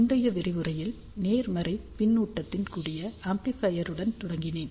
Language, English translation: Tamil, In the previous lecture, I started with amplifier with positive feedback